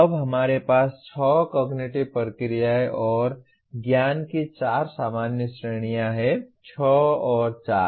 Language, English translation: Hindi, Now what we have is there are six cognitive processes and four general categories of knowledge, six and four